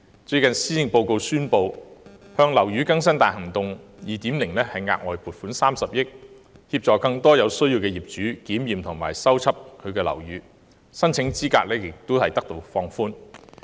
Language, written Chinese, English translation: Cantonese, 最近施政報告宣布向"樓宇更新大行動 2.0" 額外撥款30億元，協助更多有需要的業主檢驗及修葺樓宇，而申請資格也有所放寬。, As recently announced in the Policy Address an additional 3 billion will be injected into Operation Building Bright 2.0 to assist more needy owners in inspecting and repairing their buildings and the eligibility criteria will also be relaxed